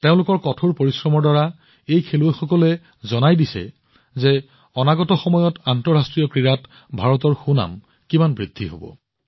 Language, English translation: Assamese, With their hard work, these players have proven how much India's prestige is going to rise in international sports arena in the coming times